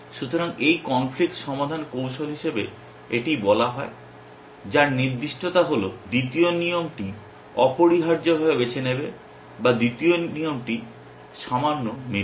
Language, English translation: Bengali, So, this conflicts resolution strategy at as it is called which is specificity will choose the second rule essentially or if the second rule matches little